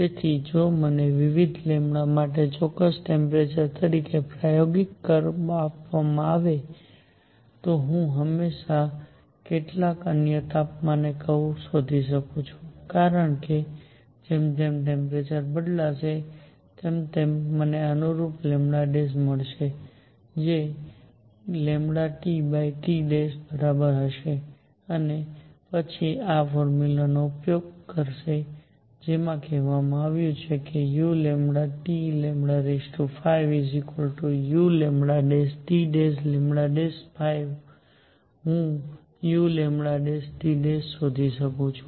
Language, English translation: Gujarati, So, if I am given the experimental curve as a particular temperature for different lambdas, I can always find the curve at some other temperature because as the temperature changes, I will find the corresponding lambda prime which will be equal to lambda T over T prime and then using this formula which says that u lambda T lambda 5 is equal to u lambda prime T prime lambda prime raise to 5, I can find u lambda prime T prime